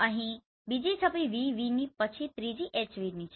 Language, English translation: Gujarati, Here VV then third one is HV